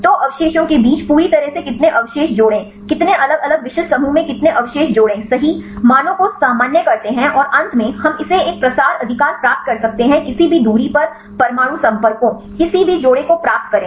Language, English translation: Hindi, So, totally how many residue pairs among the residue pairs how many residue pairs in different specific groups right normalize the values and finally, we can get this a propensity right take any distance get the atom contacts, any pairs